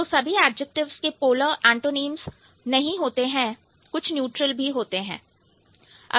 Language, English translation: Hindi, So, not all the adjectives will have the, the polar antonyms